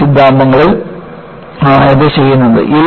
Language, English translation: Malayalam, This is done by yield theories